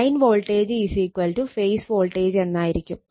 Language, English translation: Malayalam, Whenever you say line voltage, it is line to line voltage